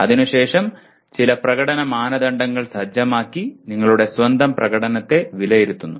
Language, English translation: Malayalam, And then you set some performance criteria and then you judge your own performance